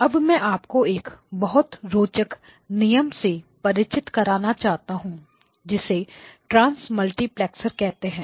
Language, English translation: Hindi, Now I would like to introduce to you a very interesting application called the Transmultiplexer